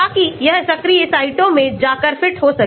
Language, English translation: Hindi, So that it can go and fit into active sites